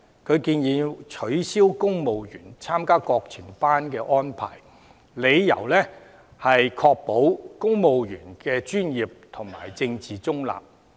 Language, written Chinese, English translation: Cantonese, 他建議"取消現行要求公務員參加國情班的安排"，理由是"確保公務員的政治中立及專業"。, He suggests abolishing the current arrangement of requiring civil servants to attend the Course on National Affairs and the reason is to ensure the political neutrality and professionalism of civil servants